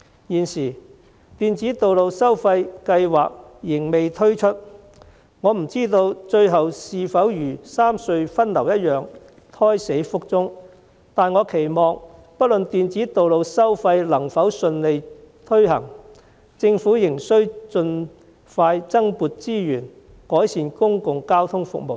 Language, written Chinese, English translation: Cantonese, 現時，電子道路收費計劃仍未推出，我不知道該計劃最後是否如三隧分流一樣，胎死腹中，但我期望不論電子道路收費能否順利推行，政府仍能盡快增撥資源，改善公共交通服務。, The electronic road pricing scheme has yet to be rolled out at present . I wonder whether the scheme will be aborted like the proposal for the rationalization of traffic distribution among the three road harbour crossings . That said I hope that irrespective of whether electronic road pricing can be implemented smoothly the Government will still expeditiously allocate more resources to improve public transport services